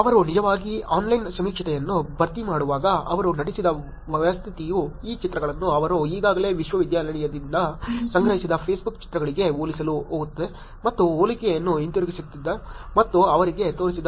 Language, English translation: Kannada, While they were actually filling the online survey, technique the system that they are acted would go compare this pictures what they are took to the Facebook pictures that they are already collected from the university itself and bring back the comparison and showed to them